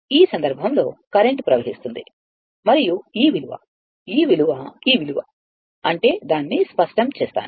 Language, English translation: Telugu, So, in that case, the current is flowing and this value, this value is the this value; that means, let me clear it